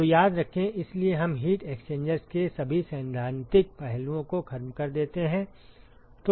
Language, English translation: Hindi, So, remember that, so we sort of finish all the theoretical aspects of heat exchangers